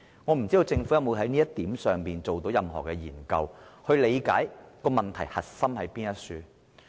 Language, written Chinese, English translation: Cantonese, 我不知道政府有沒有就這一點進行過任何研究，以理解問題核心所在。, I do not know if the Government has conducted any study to look into the crux of the problems